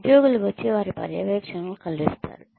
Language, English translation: Telugu, Employees come and meet their supervisors